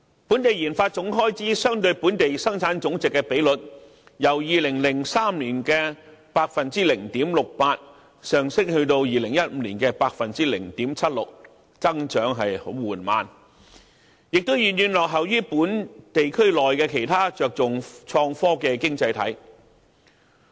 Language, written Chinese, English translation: Cantonese, 本地研發總開支相對本地生產總值的比率，由2003年的 0.68% 上升至2015年的 0.76%， 增長十分緩慢，亦遠遠落後於本地區內其他着重創科的經濟體。, The ratio of the total research and development expenditure of Hong Kong to Gross Domestic Product has only increased very slowly from 0.68 % in 2003 to 0.76 % in 2015 far lagging behind other economies in the region which have placed much emphasis on innovation and technology